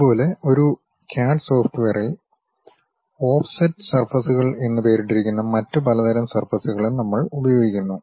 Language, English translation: Malayalam, Similarly, at CAD CAD software, we use other variety of surfaces, named offset surfaces